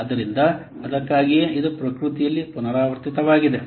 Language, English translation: Kannada, So, that's why it is repeatable in nature